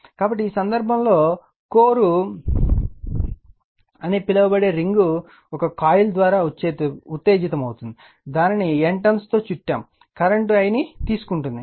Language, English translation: Telugu, So, in this case, the ring termed as core is excited by a coil wound, it with N turns carrying the current I told you right